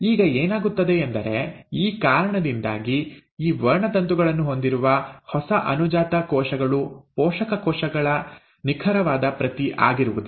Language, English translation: Kannada, Now what happens is, because of this, what will happen is the new daughter cells, which will have these chromosomes will not be an exact copy of the parent cells